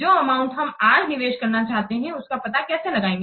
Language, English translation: Hindi, The amount that we are wanting to invest today how it can be determined